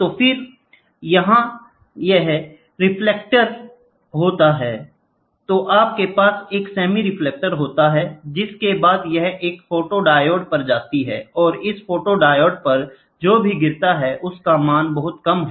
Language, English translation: Hindi, So, then it gets reflected here, then you have a semi reflecting this, in turn, goes to a photodiode, and this whatever falls on this photodiode the values are very less